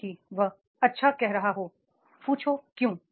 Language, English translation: Hindi, Even if he is saying good, ask why